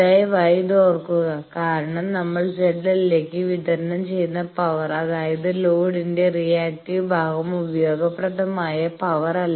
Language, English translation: Malayalam, So, please remember these because the power that we get delivered to x l the reactive part of the load that is not useful power, actually that is a reactive power